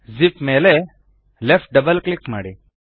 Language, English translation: Kannada, Left double click on the zip